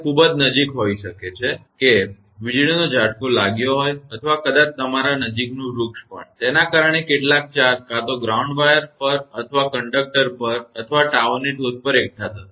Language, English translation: Gujarati, It may be very close that lightning stroke has happened or maybe your nearby tree also; because of that some charge will be accumulated on the either ground wire or on the conductor or on the top of the tower